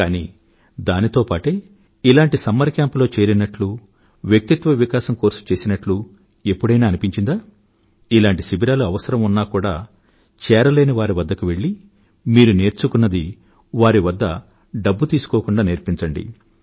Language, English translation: Telugu, But at the same time, don't you feel that after you've attended such summer camps, you have participated in the courses for development of personality and you reach out to those people who have no such opportunity and teach them what you have learned without taking any money